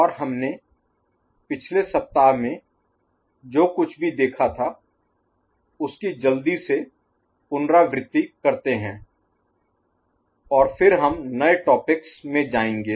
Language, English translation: Hindi, And we shall have a quick recap of what we had in the previous week and then we shall go in to the new topics